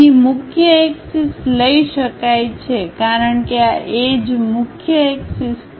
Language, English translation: Gujarati, Here the principal axis, can be taken as these edges are the principal axis